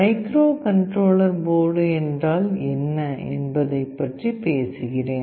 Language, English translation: Tamil, Let me talk about what is a microcontroller board